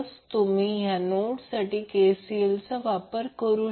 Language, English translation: Marathi, So, if you apply KCL at the node what you get